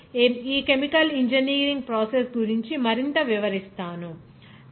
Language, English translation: Telugu, So, we will describe more about this chemical engineering principles